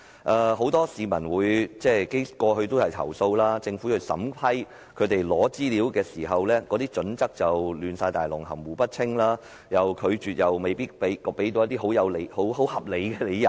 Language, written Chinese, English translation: Cantonese, 過去有很多市民投訴，指政府對於他們索取資料的要求的審批準則含糊不清，在予以拒絕時又沒有給予合理理由。, Many citizens complained in the past that the Governments criteria in approving their requests for information were ambiguous and no justifiable reasons for refusal would be given